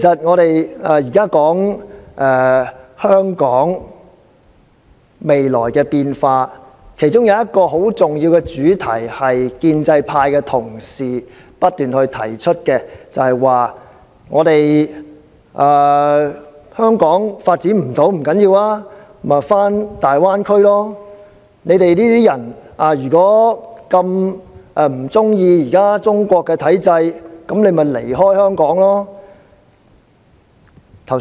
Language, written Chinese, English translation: Cantonese, 我們現在說香港未來的變化，其中一個很重要的主題，也就是建制派同事不斷提到的，就是若我們不能在香港發展，也不要緊，可以返回大灣區生活；如果我們這些人不喜歡中國的體制，可以選擇離開香港。, One of the very important main themes in the future changes of Hong Kong is the proposal frequently mentioned by fellow colleagues of the pro - establishment camp to go settling down in the Greater Bay Area . Therefore it does not matter even though we find it difficult to continue living in Hong Kong and we can always choose to leave this city if we do not find the systems of Mainland China agreeable